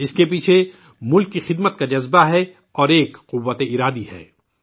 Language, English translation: Urdu, Behind it lies the spirit of service for the country, and power of resolve